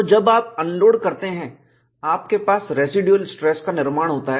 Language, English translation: Hindi, So, when you unload, you have formation of residual stresses